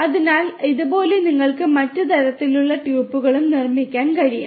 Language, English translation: Malayalam, So, like this you can built different other types of tuples as well